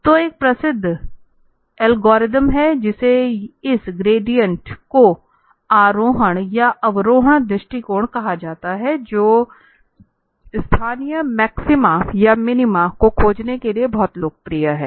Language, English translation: Hindi, So, there is a well known algorithm so called this gradient ascent or descent approach, which is very popular for finding local maxima and minima